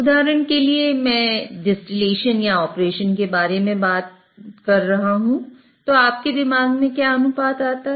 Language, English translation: Hindi, For example, if I am talking about distillation or separation, what ratio comes into your mind